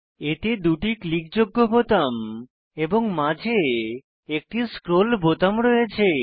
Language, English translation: Bengali, Typically, it has 2 clickable buttons and a scroll button in between